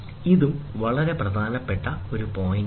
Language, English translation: Malayalam, This is also a very very important point